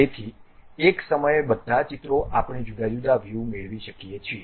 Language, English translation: Gujarati, So, all the pictures at a time we can get as different views